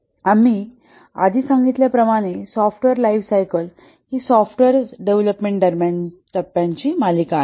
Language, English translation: Marathi, The software lifecycle as we had already said is a series of stages during the development of the software